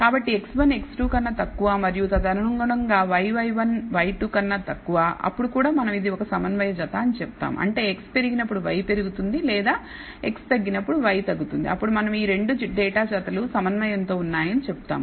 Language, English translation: Telugu, So, x 1 less than x 2 and correspondingly y y 1 is less than y 2 then also we say it is a concordant pair; that means, when x increases y increases or x decreases or y decreases then we say these 2 data pairs are concordant